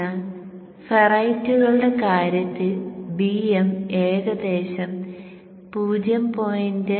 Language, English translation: Malayalam, So in the case of ferrites, BM will be around 0